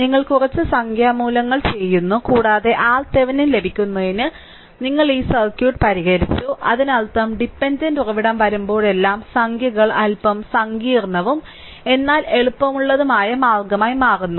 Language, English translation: Malayalam, Some numerical value you do and you have solve this circuit to get the R Thevenin; that means, whenever dependent source is coming that numericals becoming little bit complicated, but easiest way to do it right